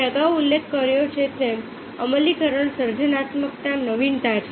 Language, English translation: Gujarati, as i mentioned earlier, implemented creativity is innovation and there are two